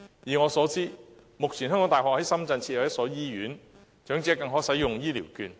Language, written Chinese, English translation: Cantonese, 以我所知，目前香港大學在深圳設有一所醫院，長者更可在此使用醫療券。, As far as I know the University of Hong Kong is now running in Shenzhen a hospital in which its elderly patients can enjoy the added advantage of using Health Care Vouchers